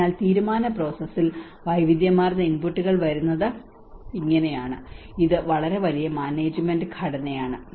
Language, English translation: Malayalam, So this is how there is a variety of inputs come into the decision process, and this is very huge management structure